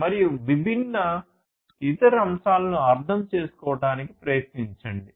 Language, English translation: Telugu, And try to understand the different other aspects